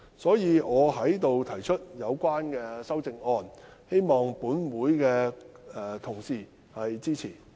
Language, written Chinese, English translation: Cantonese, 所以，我就此提出修正案，希望本會的同事支持。, Therefore I have hereby proposed the amendment and hope to get the support of Honourable colleagues